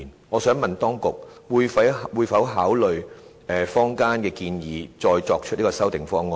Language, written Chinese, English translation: Cantonese, 我想問當局會否考慮坊間的建議，再提出修訂方案？, May I ask if the authorities will consider the communitys proposals and put forward a revised proposal?